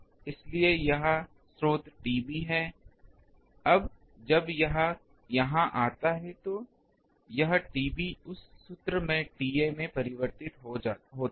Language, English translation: Hindi, So, the source is here T B, now that when it comes here this T B gets converted to T A by that formula